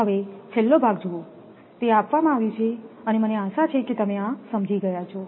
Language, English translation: Gujarati, Now, last part see it is given I hope you have understood this